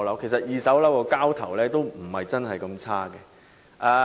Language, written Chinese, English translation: Cantonese, 其實，二手樓宇的交投量並不是很差。, As a matter of fact the transaction volume of second - hand flats is not that small